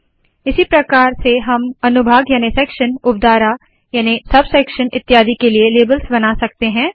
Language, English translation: Hindi, In a similar way we can create labels for sections, sub sections and so on